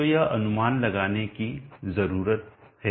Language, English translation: Hindi, So this needs to be estimated